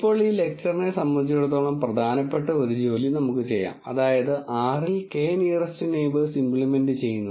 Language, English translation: Malayalam, Now, let us do the important task as far as this lecture is concerned which is implementation of K nearest neighbours in R